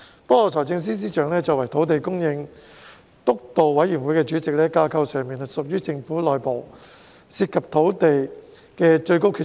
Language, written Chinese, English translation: Cantonese, 不過，司長作為土地供應督導委員會主席，在架構上是政府內部涉及土地的最高決策人。, However being the Chairman of the Steering Committee on Land Supply FS is the top decision maker within the government structure in land matters